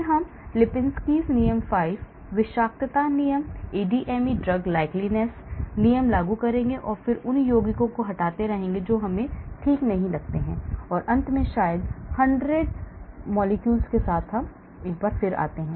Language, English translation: Hindi, then I will apply Lipinski’s rule of 5, I will apply toxicity rules, I will apply ADME drug likeness rules, and then keep removing compounds which do not seem to satisfy and then finally come up with maybe 100s of molecules